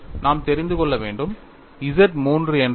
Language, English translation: Tamil, And we have to know, what is Z 3